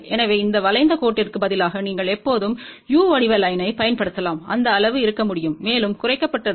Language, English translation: Tamil, So, instead of this curved line, you can always use a u shape line and that way the size can be reduced even further